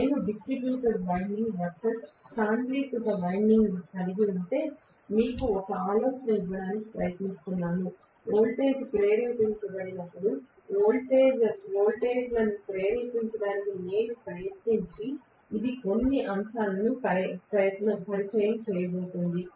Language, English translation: Telugu, I am trying to give you an idea as to when I have distributed winding versus when I have concentrated winding; it is going to introduce some factors when I actually get the voltage being induced, when I try to derive the voltages being induced